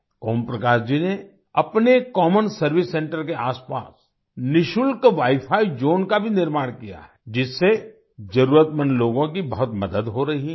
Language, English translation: Hindi, Om Prakash ji has also built a free wifi zone around his common service centre, which is helping the needy people a lot